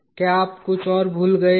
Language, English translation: Hindi, Have you missed out anything else